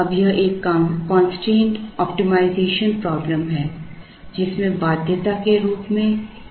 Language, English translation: Hindi, Now, this is a constraint optimization problem with an inequality as a constraint